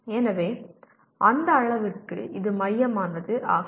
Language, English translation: Tamil, So to that extent this is central